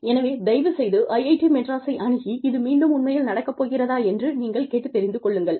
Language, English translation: Tamil, Please, check with IIT Madras, if it is really going to happen